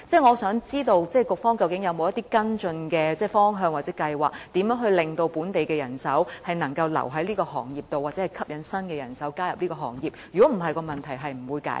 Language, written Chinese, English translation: Cantonese, 我想知道，局方究竟是否有一些跟進的方向或計劃，令本地人手能夠留在這個行業或吸引新人手加入這個行業，否則問題便無法解決？, I would like to know whether the Bureau has any follow - up direction or plan so as to retain local manpower in the sector or attract new manpower to join this sector? . Otherwise the problem cannot be resolved